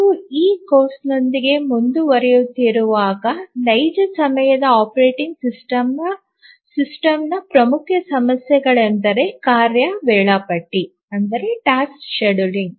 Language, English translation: Kannada, Actually as we proceed with this course we will see that one of the major issues in real time operating system is tasks scheduling